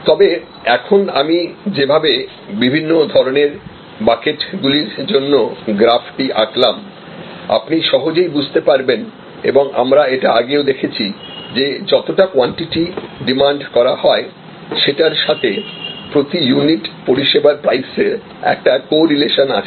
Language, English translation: Bengali, But, the way I just now drew the graph for different types of buckets, you can easily therefore, understand, that what we are looking at is, that the demand, again this we have seen earlier that the quantity of units demanded have a correlation with price per unit of service